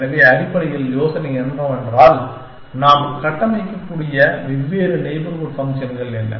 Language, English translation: Tamil, So, basically the idea being that, what are the different neighborhood functions that we can construct